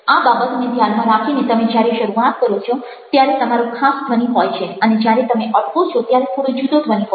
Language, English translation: Gujarati, so, keeping that in mind, when you start you might have a particular sound and when you stop you might have a a slightly different sound